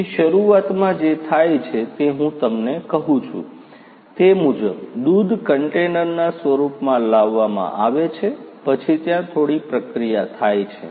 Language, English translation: Gujarati, So, initially you know what happens as I was telling you, the milk is brought in the form of containers then there is some processing that takes place